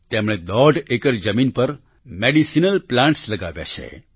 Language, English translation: Gujarati, He has planted medicinal plants on one and a half acres of land